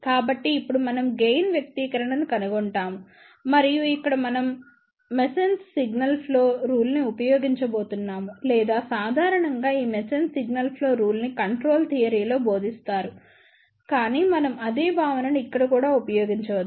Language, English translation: Telugu, So, now we will find the expression for the gain and here, we are going to use Mason's Signal Flow Rule or generally speaking this Mason's Signal Flow Rule is taught in the control theory, but we can use the same concept over here also